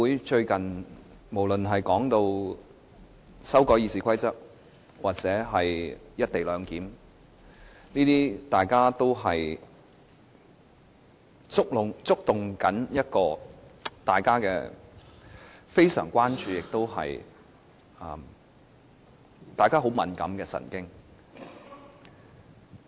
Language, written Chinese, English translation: Cantonese, 最近議會對修改《議事規則》或"一地兩檢"的討論，皆觸動了大家很敏感的神經，令人非常關注。, The legislature has recently been holding discussions on amending the Rules of Procedure and the co - location arrangement . Both issues are most sensitive causing grave concern